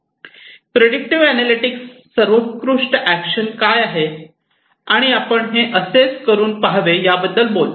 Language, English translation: Marathi, And prescriptive analytics talks about what is the best action, should we try this and so on